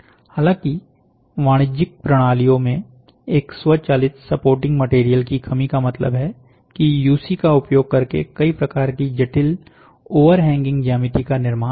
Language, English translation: Hindi, The lack of an automated support material in commercial systems, however, means that many types of complex overhanging geometries cannot be built using UC